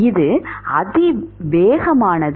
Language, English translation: Tamil, It is exponential